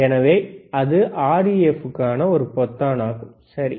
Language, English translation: Tamil, So, that is a button for REF, all right